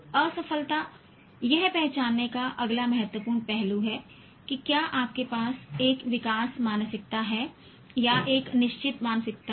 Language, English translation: Hindi, Failure is the next important aspect of identifying whether you have a growth mindset or a fixed mindset